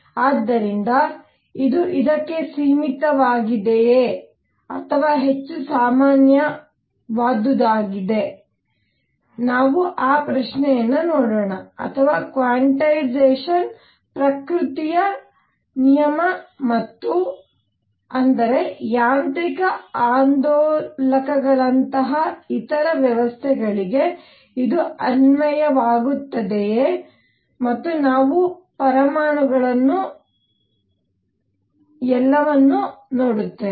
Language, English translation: Kannada, So, is it limited to this or is it more general or so, let us see that question or is quantization a law of nature and; that means, does it apply to other systems like mechanical oscillators and we will see atoms and all that